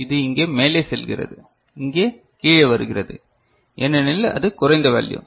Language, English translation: Tamil, So, it is going up here it is coming down because it is lower value ok